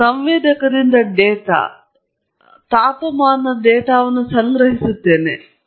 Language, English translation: Kannada, I go and collect data, ambient temperature data, with a sensor